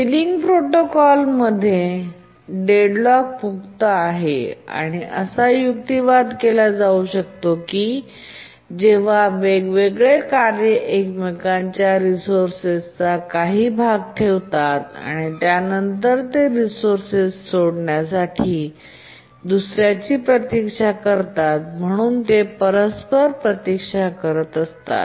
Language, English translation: Marathi, We can argue it in the following line that deadlock occurs when different tasks hold part of each other's resource and then they wait for the other to release the resource and they keep on mutually waiting